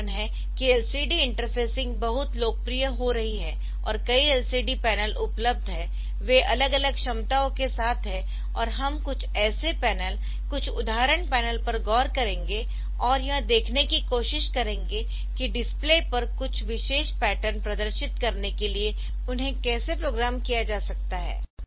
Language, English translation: Hindi, So, that is why LCD interfacing is becoming very popular and there are again same thing that there are many LCD panel looks that are available that they were with varying capacities and all that we will look into some such panel some example panel and do and try to see how they can be programmed for displaying some particular pattern on to the display